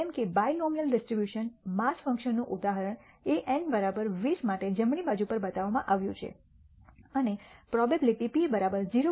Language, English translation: Gujarati, As an example of the binomial distribution mass function is shown on the right hand side for n is equal to 20 and taking the probability p is equal to 0